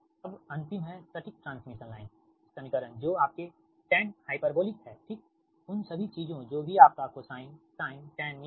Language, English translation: Hindi, last one is that exact transmission line equation, that is your tan, hyperbolic, right, those things, whatever you have got, cosine, sin, tan, everything